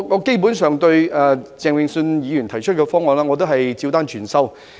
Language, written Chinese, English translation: Cantonese, 基本上，我對鄭泳舜議員提出的方案，都是"照單全收"。, Basically I totally accept all the proposals put forward by Mr Vincent CHENG